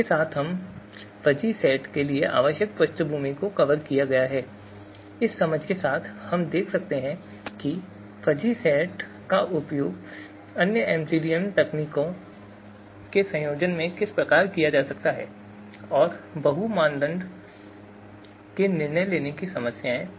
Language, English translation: Hindi, So with this we have you now, we have covered the basic background that is required for fuzzy sets and with this understanding we can see how fuzzy sets can be used in combination with other MCDM techniques and decision making problems, multi criteria decision making problems can be solved